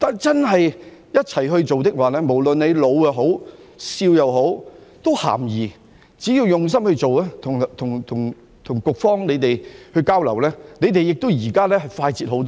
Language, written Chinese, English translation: Cantonese, 只要我們一起做，不論老少也是咸宜的，只要用心做，與局方交流，它們現時也快捷了很多。, As long as we work together everyone is welcome regardless of age . We simply need to work with our hearts and maintain communication with the Bureau which is working much faster now